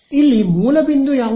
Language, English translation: Kannada, Here what is the source point